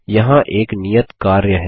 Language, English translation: Hindi, Here is an assignment